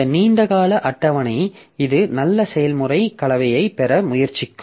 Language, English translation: Tamil, So, this long term scheduler, so it will try to get good process mix